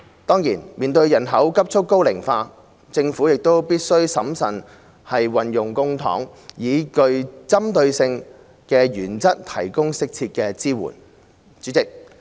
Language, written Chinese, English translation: Cantonese, 當然，面對人口急促高齡化，政府亦必須審慎運用公帑，以具針對性的原則提供適切的支援。, Certainly in view of rapid population ageing the Government must exercise prudence in utilizing public coffers and provide pertinent support on the principle that it is rightly targeted